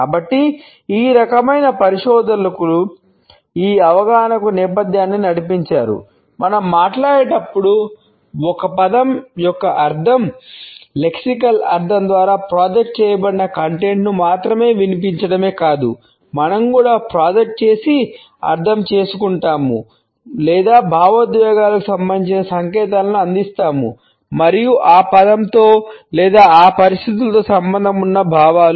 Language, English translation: Telugu, So, these type of researchers led the background to this understanding that when we speak we do not only voice the content projected by the meaning, the lexical meaning of a word but we also project and understanding or we pass on signals related with the emotions and feelings associated with that word or with that situation